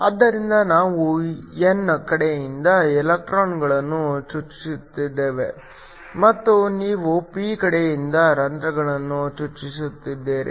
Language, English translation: Kannada, So, we are injecting the electrons from the n side and you are injecting the holes from the p side